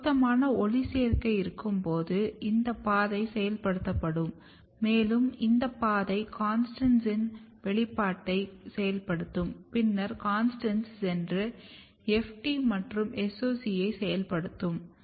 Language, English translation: Tamil, So, basically when there is a suitable photoperiod when there is a time when there is a correct photoperiod then, this pathway will be activated and this pathway will activate expression of CONSTANTS and then CONSTANTS will go and activate FT and SOC1